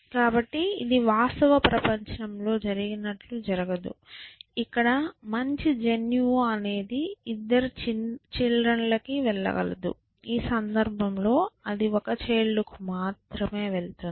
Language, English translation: Telugu, So, it is not as if, as it, as it happens in the real world, their good gene can go to both the children, in this case it will go to only one child